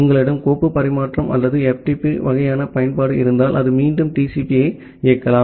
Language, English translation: Tamil, If you have a file transfer or FTP kind of application that may again run TCP